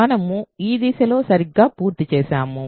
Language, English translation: Telugu, So, we are done in this direction right